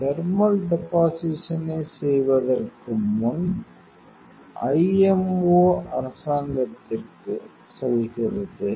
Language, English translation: Tamil, So, before that thermal deposition, you are going to the IMO government